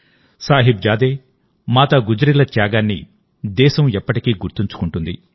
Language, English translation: Telugu, The country will always remember the sacrifice of Sahibzade and Mata Gujri